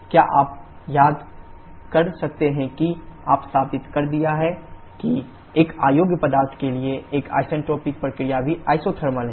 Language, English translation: Hindi, Can you remember that you have proved that for an incompressible substance an isentropic process is also isothermal